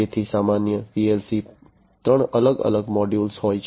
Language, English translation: Gujarati, So, a typical PLC has three different modules